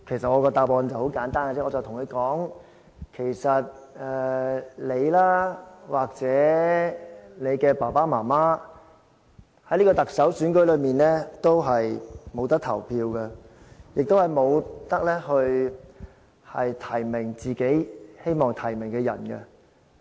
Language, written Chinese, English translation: Cantonese, 我的答案很簡單，我跟他說："你或者你的爸爸媽媽，不能在特首選舉中投票，亦不能提名自己希望提名的人。, My reply was very straightforward . I told him Neither you nor your parents can vote in the Chief Executive election and you people cannot nominate any preferred candidates either